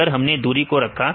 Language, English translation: Hindi, So, then we have see the distance